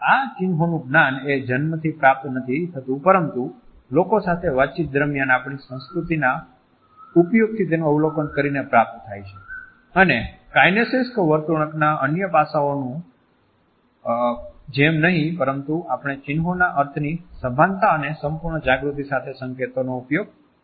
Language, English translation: Gujarati, It is not a knowledge with which we are born rather we have observed them through our culture by interacting with others, and unlike other aspects of kinesic behavior we use emblems with a conscious and complete awareness of the meaning of these signals